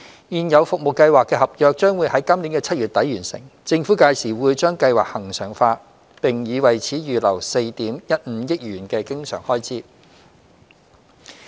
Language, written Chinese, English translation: Cantonese, 現有服務計劃的合約將於今年7月底完成。政府屆時會將計劃恆常化，並已為此預留4億 1,500 萬元的經常開支。, Upon the completion of the existing service contracts in late July this year the Government will regularize STFASPs earmarking 415 million in recurrent expenditure